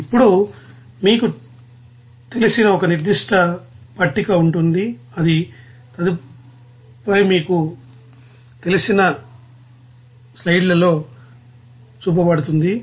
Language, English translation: Telugu, Now you will see that there will be a certain table which is shown in the next you know slides like this